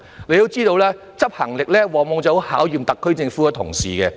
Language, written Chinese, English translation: Cantonese, 你也知道，執行力往往很能考驗特區政府同事。, You also know that the enforcement capability can often give quite a trial to the colleagues of the SAR Government